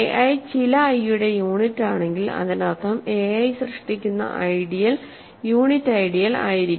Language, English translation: Malayalam, If a i is unit for some i, that means the ideal generated by a i would be the unit ideal